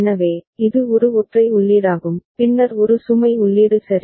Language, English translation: Tamil, So, this is a single input clear all right and then there is a load input ok